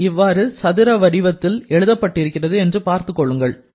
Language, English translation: Tamil, Just see how we have written them in a square form